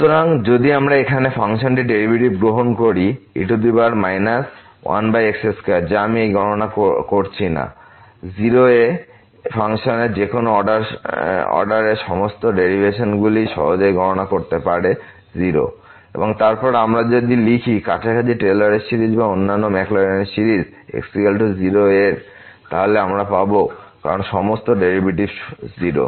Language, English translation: Bengali, So, if we take the derivative of this function here power minus one over square which I am not doing this calculations, but one can easily compute at all the derivations of any order of this function at 0 will be 0 and then we if we write the Taylor series or other Maclaurin series around is equal to 0 then we will get because all the derivative are 0